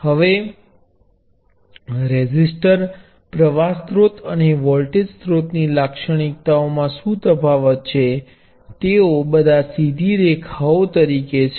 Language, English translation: Gujarati, Now what distinguishes the characteristics of a resistor, a current source and voltage source, all of which as straight lines